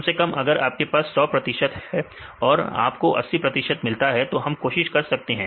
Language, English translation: Hindi, At least if you have 100 percent; if you get 80 percent then we can try